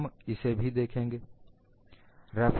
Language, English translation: Hindi, We will look at that also